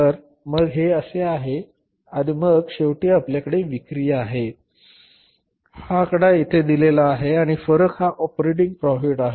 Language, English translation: Marathi, So you have the sales, this figure is given here and the difference is the operating profit